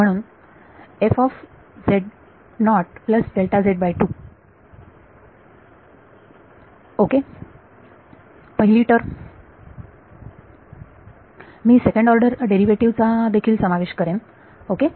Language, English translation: Marathi, So, first of all let us see what order of derivative is there second order derivative right